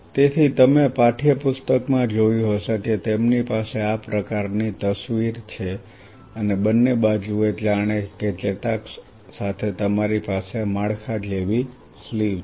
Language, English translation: Gujarati, So, you must have seen in the textbook they have this kind of picture right and both sides as if along the axon you have a sleeve like a structure